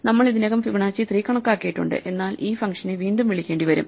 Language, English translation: Malayalam, Notice that we have already computed Fibonacci of 3, but this will blindly require us to call this function again